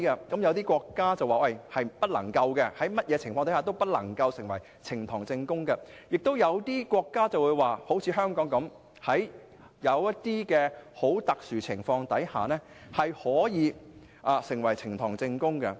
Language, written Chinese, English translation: Cantonese, 有些國家訂明不能，在任何情況下都不能成為呈堂證供，但亦有些國家和香港一般，規定在很特殊的情況下可成為呈堂證供。, Some of them provide in the law that such contents must not be used as evidence in court under any circumstances . But the legislation of others provide that such contents may be used as evidence in court under certain special circumstances